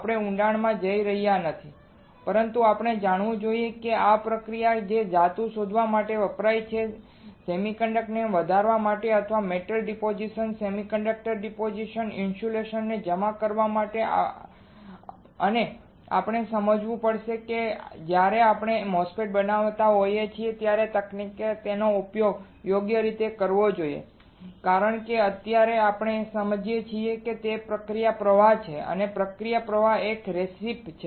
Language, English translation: Gujarati, We are not going into depth, but we should know that these are the processes that are used to grow the grow the metal to grow the semiconductor to or deposit the metal deposit semiconductor deposit insulator and we have to understand that when we fabricate a MOSFET which technique we should use it right because what we are right now understanding is the process flow the process flow is a recipe